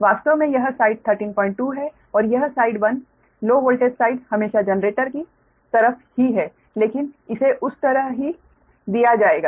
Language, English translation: Hindi, actually this side is thirteen point two and this side actually one low voltage side is always the generator side, right, although